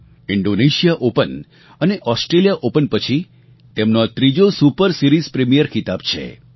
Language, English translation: Gujarati, After Indonesia Open and Australia Open, this win has completed the triad of the super series premiere title